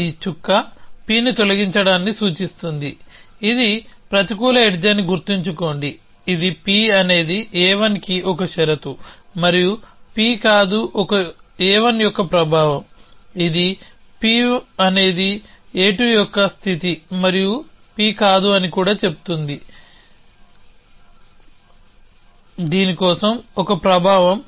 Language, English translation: Telugu, So, this remember this dot stands for deleting P, it is a negative edge, it saying that P is a condition for a 1 and not P is a effect of a 1, this is also saying that P is condition of a 2 and not P is an effect for